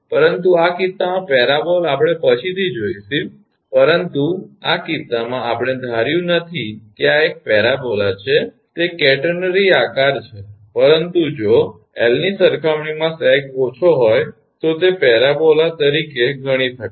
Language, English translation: Gujarati, But in this case parabolas we will see later, but in this case, we have not assume that this is a parabola it is a catenary shape, but if sag is less as compared to the L, then that can be considered as a parabola